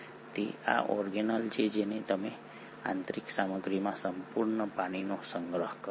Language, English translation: Gujarati, It is this organelle which ends up storing a whole lot of water in its inner content